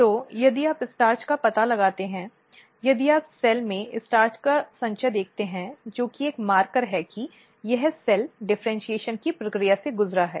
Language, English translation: Hindi, So, if you detect the starch, if you see the starch accumulation in the cell which is a marker that this cells has undergone the process of differentiation